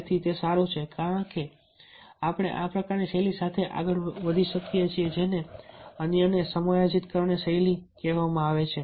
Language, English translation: Gujarati, so its good that we can go ahead with this type of style that is called accommodating others